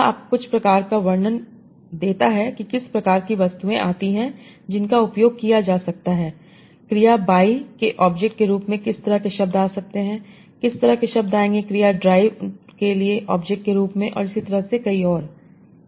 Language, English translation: Hindi, So this gives you some sort of representation that what kind of objects come into, that can be used, what kind of words that can come as object of the verb by, what kind of words will come as object of the verb drive and so on